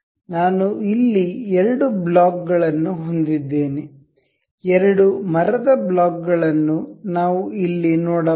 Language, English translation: Kannada, I have two blocks here, two wooden blocks we can see here